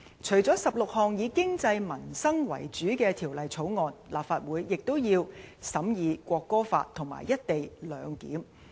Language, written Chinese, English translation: Cantonese, 除了16項以經濟民生為主的條例草案，立法會也要審議《國歌法》和"一地兩檢"。, Apart from these bills which are mainly related to the economy and peoples livelihood the Legislative Council also has to scrutinize the National Anthem Law and the co - location arrangement